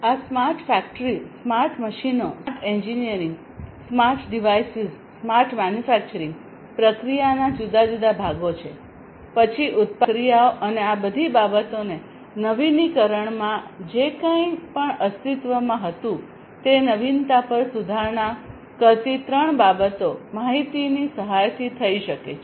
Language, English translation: Gujarati, So, these are the different components of the smart factory, smart machines, smart engineering, smart devices, smart manufacturing process, then three things improving upon the innovation you know whatever was existing innovating the product the processes and so, on and the all these things can be done with the help of information technology